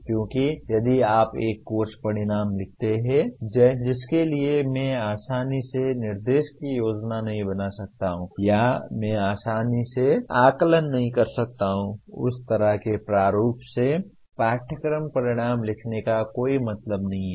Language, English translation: Hindi, Because if you write a course outcome for which I cannot easily plan instruction or I cannot easily assess; there is no point in writing a course outcome in that kind of format